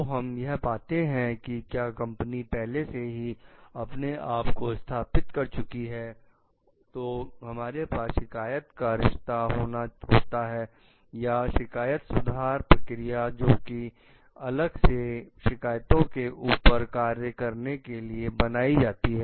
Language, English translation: Hindi, So, this like whether when we find that the company has already established itself, we may have a complaint root or a grievance redressal procedure which is a separately maintained to work on the complaints for sake